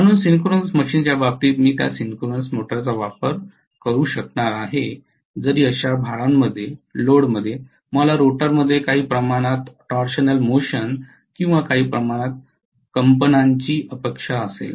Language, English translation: Marathi, So in the case of synchronous machine I would be able to use those synchronous motors even in those loads where I may expect some amount of torsional motion or some amount of vibrations in the rotor